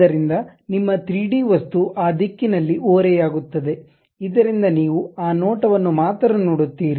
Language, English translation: Kannada, So, your 3D object tilts in that direction, so that you will see only this view